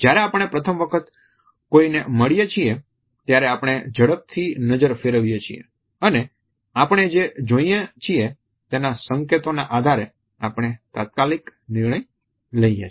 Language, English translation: Gujarati, When we meet a person for the first time then we quickly glance at a person and on the basis of what we see, we make an immediate judgment on the basis of these cues